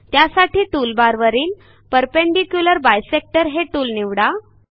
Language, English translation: Marathi, Click on the Perpendicular bisector tool